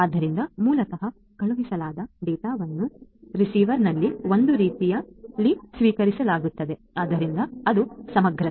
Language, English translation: Kannada, So, basically the data that are sent are exactly received in the same way at the receiver right; so, that is integrity